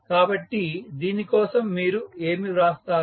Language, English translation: Telugu, So, what you will write for this